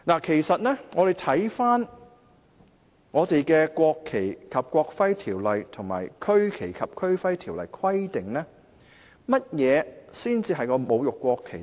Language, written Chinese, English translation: Cantonese, 其實，看回《國旗及國徽條例》及《區旗及區徽條例》的規定，甚麼行為才算是侮辱國旗呢？, In fact according to the provisions in the National Flag and National Emblem Ordinance and the Regional Flag and Regional Emblem Ordinance what kinds of act will constitute desecration of the national flag?